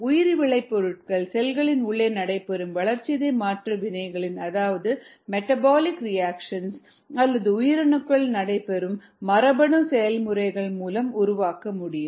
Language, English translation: Tamil, the bio products could be made by the metabolic reactions inside the cells or the genetic processes inside the cells